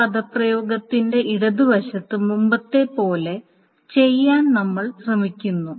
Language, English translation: Malayalam, This is we are trying to do the left hand side of this expression is the same as the earlier one